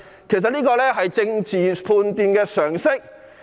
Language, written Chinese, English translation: Cantonese, 其實，這是政治判斷的常識。, As a matter of fact this is a common sense political judgment